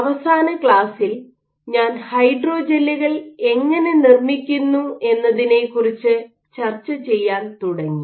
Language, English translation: Malayalam, So, in the last class I started discussing about how to go about fabricating hydrogels